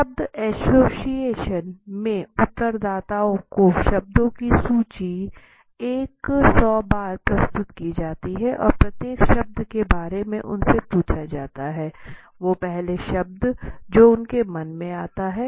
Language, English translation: Hindi, in word association the respondents are presented with the list of words one hundred times and after each word their asked to give first word that comes to the mind okay